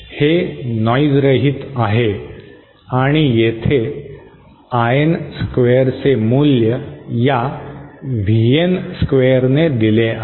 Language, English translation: Marathi, This is noise less and value of this IN square is given by the value of this VN square is given by